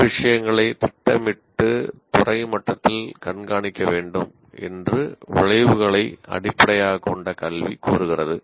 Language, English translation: Tamil, As you can see, the outcome based education demands that many things are planned and should be monitored at the department level